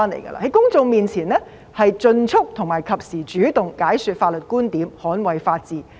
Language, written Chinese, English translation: Cantonese, 在公眾面前應盡速並及時主動解說法律觀點，捍衞法治。, She should lose no time to proactively explain in a timely manner the legal viewpoints in order to defend the rule of law before the public